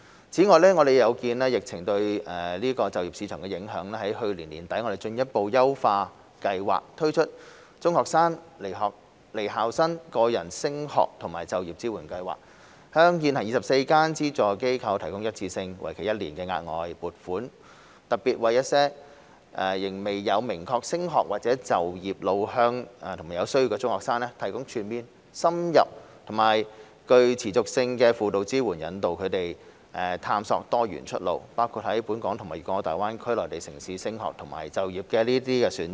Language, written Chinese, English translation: Cantonese, 此外，有見及疫情對就業市場的影響，我們在去年年底進一步優化計劃，推出"中學生/離校生個人升學和就業支援服務"，向現行24間獲資助機構提供一次性、為期一年的額外撥款，特別為一些仍未有明確升學或就業路向和有需要的中學生，提供全面、深入和具持續性的輔導支援引導他們探索多元出路，包括在本港和粵港澳大灣區內地城市的升學和就業選擇。, In addition in view of the impact of the epidemic on the employment market we have further enhanced the Scheme at the end of last year by introducing the Individual Study and Career Support Service for Secondary School Students and Leavers which provides the 24 currently funded NGOs with one - off additional funding for a period of one year to provide comprehensive in - depth and sustainable counselling services particularly for secondary school students who have yet to have a clear progression or employment path and are in need and guide them to explore multiple pathways including further study and career options in both Hong Kong and Mainland cities in the Guangdong - Hong Kong - Macao Greater Bay Area GBA